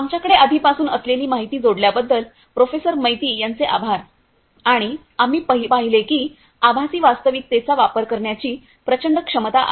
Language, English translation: Marathi, Thank you Professor Maiti for adding to the information that we already have and so as we have seen that there is enormous potential of the use of virtual reality